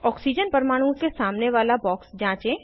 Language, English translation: Hindi, Check the box against oxygen atom